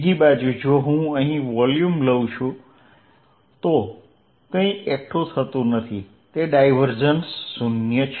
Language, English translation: Gujarati, On the other hand, if I take volume here nothing accumulates then divergent is 0